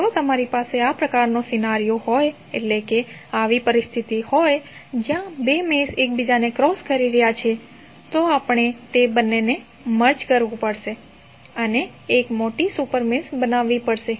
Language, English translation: Gujarati, If you have this kind of scenario where two meshes are crossing each other we have to merge both of them and create a larger super mesh